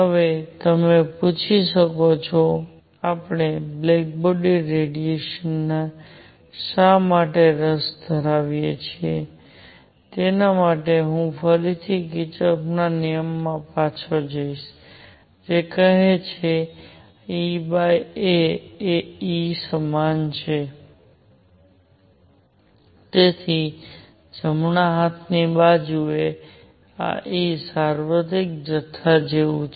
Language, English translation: Gujarati, Now, you may ask; why are we interested in black body radiation for that I will again go back to Kirchhoff’s law which says that e over a is equal to capital E, therefore, this E on the right hand side is like universal quantity